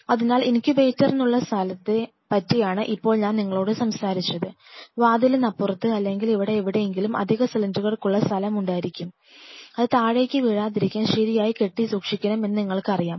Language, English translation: Malayalam, So, now I have already talked to you like these are the places for the incubator, and we talked about that just outside the door or somewhere out here you will have the place for the extra cylinders which should be you know tied up or kept in proper friends